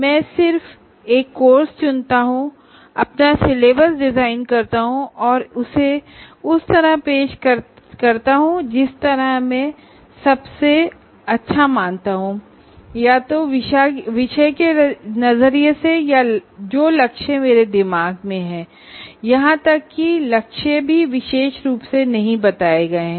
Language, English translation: Hindi, I just pick a course, design my syllabus and offer it the way I consider the best, either from the subject perspective or whatever goals that I have in mind, even the goals are not particularly stated